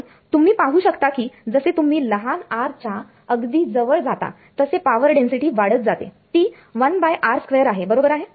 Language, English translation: Marathi, And you can see as you get closer at smaller r power density increases because its 1 by r square right